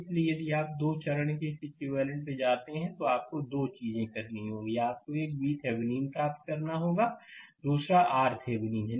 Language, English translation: Hindi, So, if you go to this right equivalent of 2 step, you have to 2 things; you have to obtain one is V Thevenin, another is R thevenin